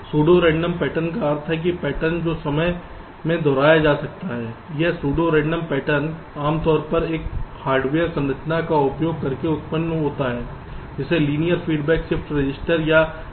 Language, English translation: Hindi, pseudo random pattern means patterns which can be repeated in time, and this pseudo random patterns are typically generated using a hardware structure which is called linear feedback shift register or l f s r